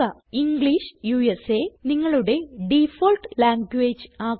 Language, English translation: Malayalam, Use English as your default language